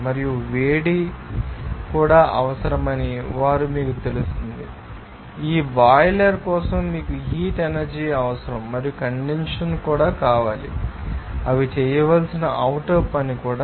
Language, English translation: Telugu, And they are also you know that heat is required so, for this boiler you need heat energy and also condensation you need also that some external work to be done they are